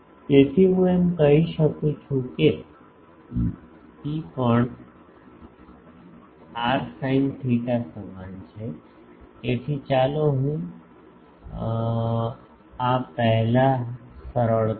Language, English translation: Gujarati, So, I can say that also since rho is equal to r sin theta so, let me simplify this first